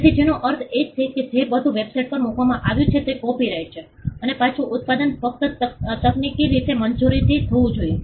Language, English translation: Gujarati, So, which means everything that was put on the website is copyrighted and reproduction should be done only technically with permission